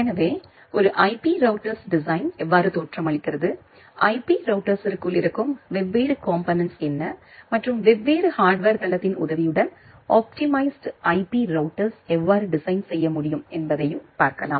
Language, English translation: Tamil, So, we will basically look into the design of an IP Router that how an IP router looks like, what are the different components inside an IP router and how you can design an optimized IP router with the help of different hardware platform